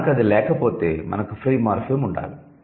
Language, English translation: Telugu, And if we do not have that, so then we must have a free morphem